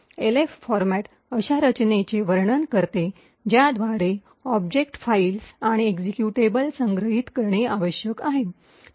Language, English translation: Marathi, Elf format describes a structure by which object files and executables need to be stored